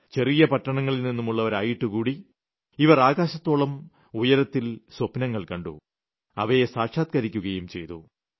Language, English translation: Malayalam, Despite hailing from small cities and towns, they nurtured dreams as high as the sky, and they also made them come true